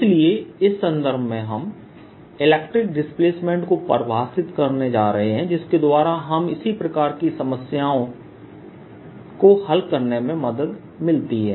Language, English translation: Hindi, so in this context, we're going to do introduce something called the electric displacement that facilitates solving of such problems